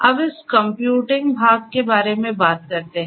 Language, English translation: Hindi, Now, let us talk about this computing part